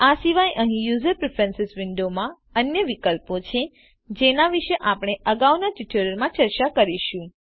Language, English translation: Gujarati, Apart from these there are other options present in user preferences window which will be discussed in the later tutorials